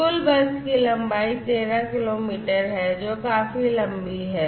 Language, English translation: Hindi, The total bus length is 13 kilometres, which is quite long as you can see